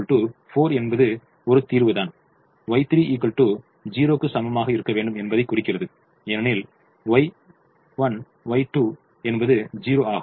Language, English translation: Tamil, u three is equal to four implies y three has to be equal to zero because u three, y three is zero